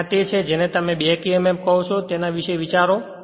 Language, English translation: Gujarati, And this is your what you call we have to think about the back emf right